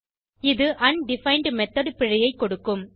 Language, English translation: Tamil, It will give an undefined method error